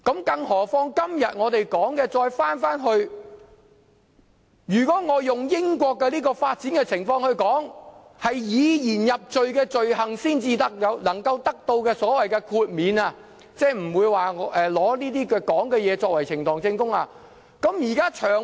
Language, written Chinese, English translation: Cantonese, 更何況，今天我們討論的是，如果我用英國的發展情況來說，只有以言入罪的罪行才能獲豁免，即不會用曾經發表的言論作為呈堂證供。, Furthermore if we take it from the perspective of developments in the United Kingdom we are in fact talking about making exception only to speech offences which means that no word spoken in the legislature will be used in evidence in such cases